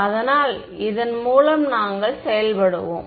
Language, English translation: Tamil, So, we will just work through this